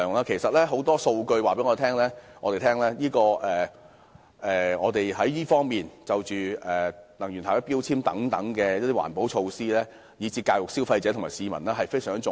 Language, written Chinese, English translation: Cantonese, 其實，很多數據都告訴我們，能源標籤等環保措施，以至教育消費者和市民，均非常重要。, Actually as evident from a lot of data environmental protection measures such as energy labelling as well as education of consumers and members of the public are very important